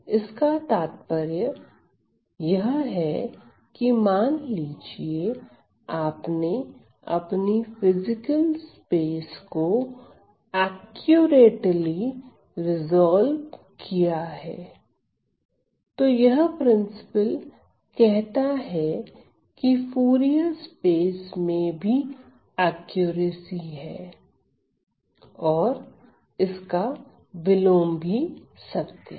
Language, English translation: Hindi, So, what means is that suppose you have accurately resolved your physical space then this principle tells me that there is an in accuracy in the Fourier space and vice versa